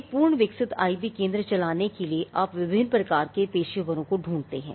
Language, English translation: Hindi, Now, for to run an IP centre to run a full fledged IP centre you read different types of professionals